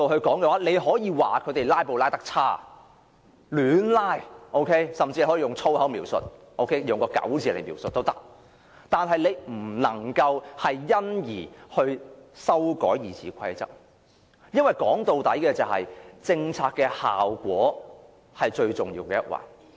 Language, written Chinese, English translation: Cantonese, 當然，你可以指責他們"拉布"的手法差劣，甚至可以用各種粗話形容他們，卻不能因而修改《議事規則》，因為政策的效果畢竟是最重要的一環。, Of course you can accuse them of filibustering in such a despicable manner and even speak of their acts by using all sorts of vulgar terms but in no sense should the RoP be amended to block filibustering since the effect of a policy is the most important of all